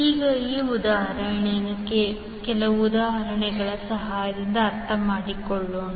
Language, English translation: Kannada, Now, let us understand these particular equations with the help of few examples